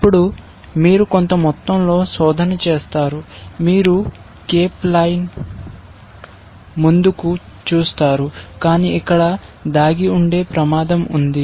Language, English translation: Telugu, Then, you do a certain amount of search, you do a cape line look ahead, but there is a danger of lurking here